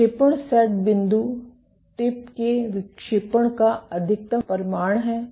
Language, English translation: Hindi, So, deflection set point is the maximum amount of deflection of the tip